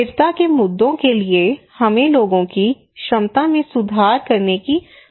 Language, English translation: Hindi, Also for the sustainability issues, sustainable community we need to improve peoples own capacity